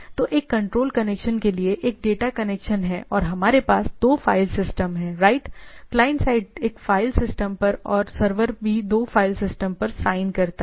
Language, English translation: Hindi, So, it one is for the control connection, one is the data connection and we have two file system right, at the client side one file system and also server sign two file system